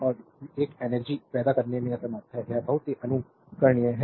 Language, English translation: Hindi, And it is incapable of generating energy, this is very important for you